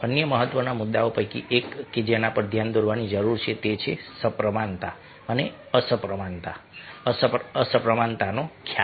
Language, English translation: Gujarati, one of the other important issues that needs to be pointed out is that the concept of symmetry and asymmetry